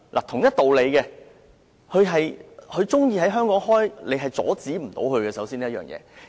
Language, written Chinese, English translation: Cantonese, 同一道理，他們如喜歡在香港開設飛機租賃公司，我們阻止不了。, Equally we cannot stop anyone from establishing an aircraft leasing company in Hong Kong